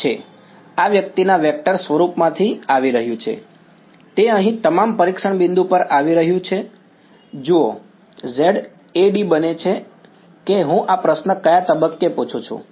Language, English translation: Gujarati, h is whatever is coming from the vector form of this guy is what is coming over here at all the testing point see, Z A, d then becomes at which point am I asking this question